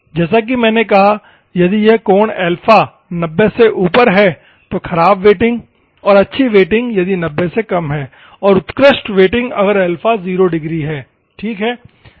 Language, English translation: Hindi, As I said, if it is angle is theta is above 90 in figure 2, poor wetting and the good wetting and excellent wetting if theta is 0 degrees ok